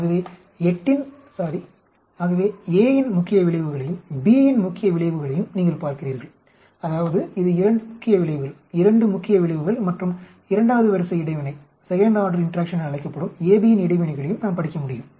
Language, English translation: Tamil, So you are looking at main effects of a, main effect of b that is 2 main effects and we can also study the interaction AB, that is called a second order interaction